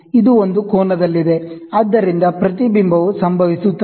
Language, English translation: Kannada, So, this is at an angle, so reflection happens